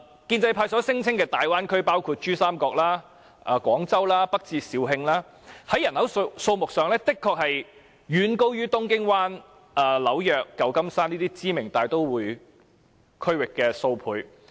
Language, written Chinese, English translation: Cantonese, 建制派所聲稱的大灣區包括珠江三角洲和廣州，北至肇慶，在人口上的確遠高於東京灣、紐約和舊金山等知名大都會區域數倍。, As the pro - establishment camp says the Bay Area covers the Pearl River Delta Region Guangzhou and northwards to Zhaoqing . Its population size is honestly several times the respective population sizes of well - known metropolitan regions such as the Tokyo Bay New York and San Francisco